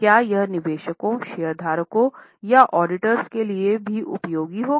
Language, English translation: Hindi, Will it be useful to investors also or the shareholders also